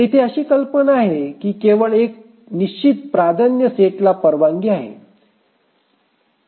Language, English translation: Marathi, The idea here is that we allow only a fixed set of priority